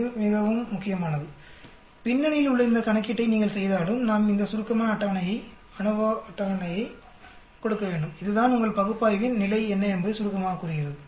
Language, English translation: Tamil, It's this is very important, even if you do this calculation which is in the background, we need to give the summary table, ANOVA table, which tells you in one short what is the status of your analysis